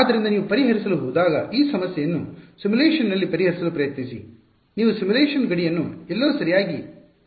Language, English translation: Kannada, So, when you go to solve try to solve this problem in a simulation you have to end the simulation boundary somewhere right